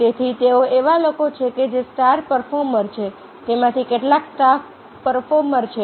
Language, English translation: Gujarati, so they are the people, those who are star performers